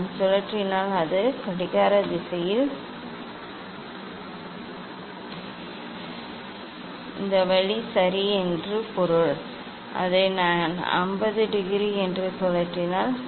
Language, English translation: Tamil, if I rotated it is the clockwise, clockwise means this way ok; if I rotated it by say 50 degree